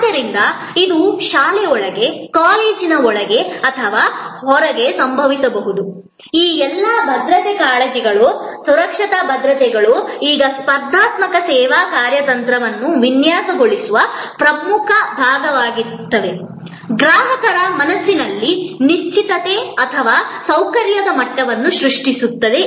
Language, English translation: Kannada, So, it can happen inside a school, inside a college or outside, all these security concerns and the safety assurances are now becoming important part of designing a competitive service strategy, creating the level of certainty or comfort in the customers mind